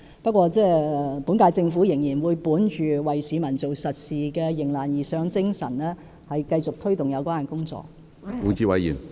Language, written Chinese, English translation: Cantonese, 不過，本屆政府仍會本着為市民做實事的迎難而上的精神，繼續推動有關工作。, Yet the Government of the current term will continue to take forward the relevant initiatives driven by the spirit of rising to challenges ahead and doing solid work for the people with pragmatism